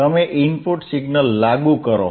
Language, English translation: Gujarati, yYou apply an input signal